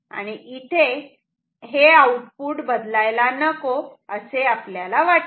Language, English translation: Marathi, So, we want the output not to change